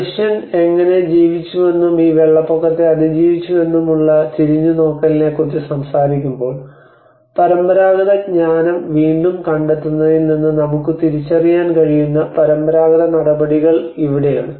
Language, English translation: Malayalam, And when we talk about the looking back about how man has lived and have survived these floods this is where the traditional measures we can even identifying from the rediscovering the traditional wisdom